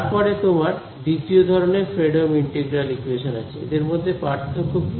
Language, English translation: Bengali, Then you also have a Fredholm integral equation of the 2nd kind, what is the difference